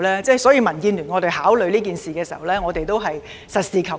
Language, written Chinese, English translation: Cantonese, 因此，民建聯在考慮此事時，都是實事求是。, Therefore DAB adopts a pragmatic approach in considering this matter